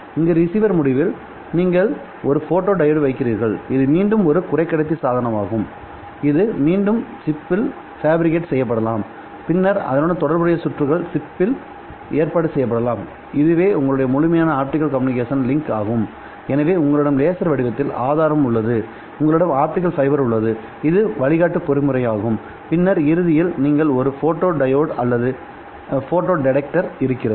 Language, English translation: Tamil, There at the receiver end you put up a photodiode which is again a semiconductor device which can again be fabricated on a chip and then the corresponding circuitry can be arranged on a chip as well and then you have your full optical communication link so you have the source in the form of a laser you have an optical fiber which is the guiding mechanism and then at the end you have a photo diode or a photo detector so optical fiber communications as I said was not possible without having these room temperature lasers and the development of low loss optical fibers